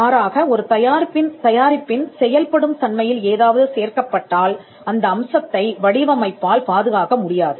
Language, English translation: Tamil, If something is put into the way in which a product works, then that cannot be protected by a design